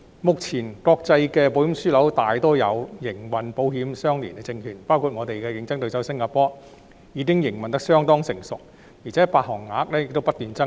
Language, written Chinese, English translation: Cantonese, 目前，國際的保險樞紐大多數有營運保險相連證券業務，香港的競爭對手新加坡，其營運已相當成熟，而且發行額亦不斷增加。, Currently ILS business operations can be found in most international insurance hubs and in Singapore Hong Kongs competitor ILS business has been operating fairly well with an increasing amount of ILS issued